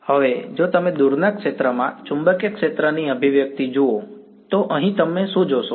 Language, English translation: Gujarati, Now, if you look at the expression for the magnetic field in the far zone, over here what do you see